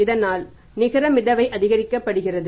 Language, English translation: Tamil, So, net float should be maximum